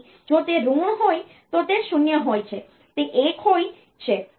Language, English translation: Gujarati, So, if it is negative then it is 0 it is 1